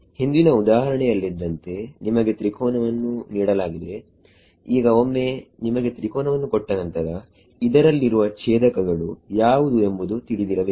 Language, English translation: Kannada, Supposing like in the previous example you give a triangle now once you given triangle you need to know which are the nodes in it